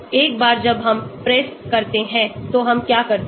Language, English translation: Hindi, Once we get the PRESS what we do